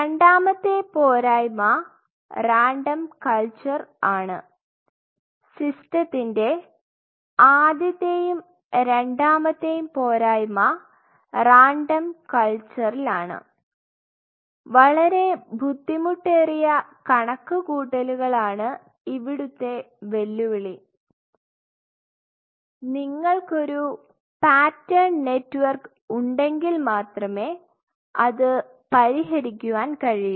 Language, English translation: Malayalam, Second what is the second drawback if you look at it is a random culture first second inherent drawback with the system is in a random culture quantification becomes very difficult, quantification is challenging and ambiguous, that can only be resolved if we have a pattern network